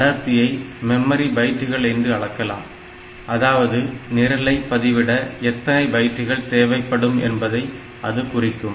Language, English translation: Tamil, So, it is measured in terms of say memory bytes how many bytes are needed for storing the program ok